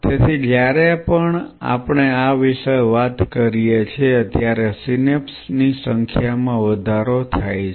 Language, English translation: Gujarati, So, whenever we talk about this increases the number of synapses